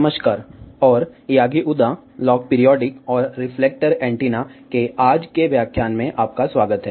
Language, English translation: Hindi, Hello, and welcome to today's lecture on Yagi Uda Log Periodic and Reflector Antennas